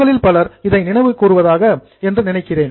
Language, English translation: Tamil, I think most of you would be thinking of it